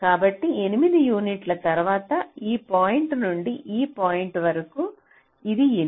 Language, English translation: Telugu, so after eight unit of from this point to this point, it is eight